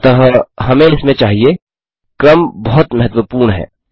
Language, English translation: Hindi, So we just need in here the order is very important